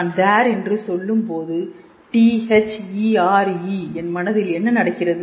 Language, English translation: Tamil, When I am saying there; T H E R E is happening in my mind